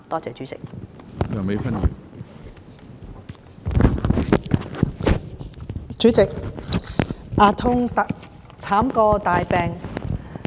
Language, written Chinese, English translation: Cantonese, 主席，"牙痛慘過大病"。, President toothache causes the worst pain of all